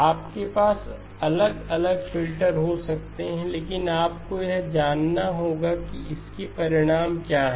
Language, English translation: Hindi, You can have different filters, but you have to know what are the consequences of that